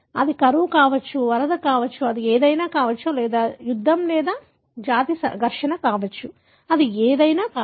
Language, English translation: Telugu, It could be drought, it could be flooding, it could be something or a war or ethnic clash, whatever it is